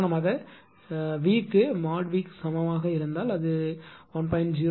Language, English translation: Tamil, For example, suppose if V is equal to that mod V is equal to 1